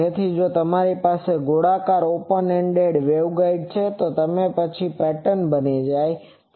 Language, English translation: Gujarati, So, if you have an open ended waveguide circular, then this becomes the pattern